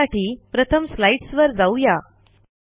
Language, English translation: Marathi, Let us first go back to the slides